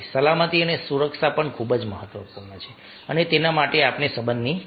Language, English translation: Gujarati, safety and security is also very, very important and for that we need a relationship